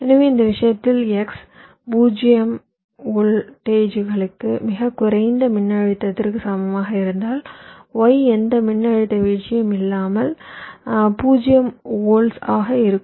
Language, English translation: Tamil, so for this case, if x equal to zero volts very low voltage, then y will also be zero volts without any voltage drop